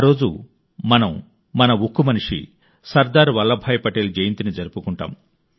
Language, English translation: Telugu, On this day we celebrate the birth anniversary of our Iron Man Sardar Vallabhbhai Patel